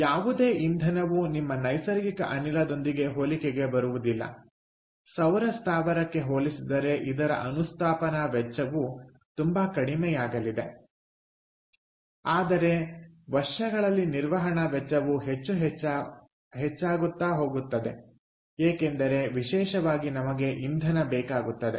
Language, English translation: Kannada, compare that: your natural gas plant: the installation cost is going to be much lower compared to a solar plant, but then, over the years, the operating cost will be much higher, especially because we will need fuel